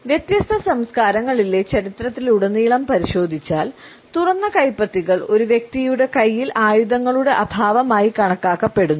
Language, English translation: Malayalam, Over the course of history in different cultures, open palms were equated with the absence of any weapon which a person might be carrying in his hands